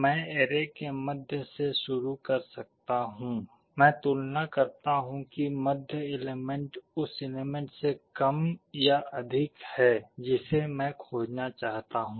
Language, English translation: Hindi, I can start with the middle of the array; I compare whether the middle element is less than or greater than the element I want to search